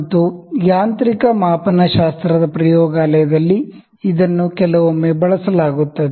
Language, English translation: Kannada, And in mechanical metrological lab it is also used sometimes